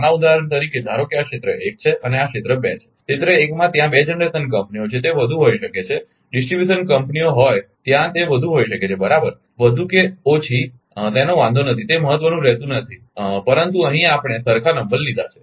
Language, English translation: Gujarati, Small example suppose this is area 1 and this is area 2, in area 1 2 generation companies are there it may be (Refer Time: 11:40), it does not matter distribution companies are there it may be more, right does not matter more less does not matter, but here we have taken identical number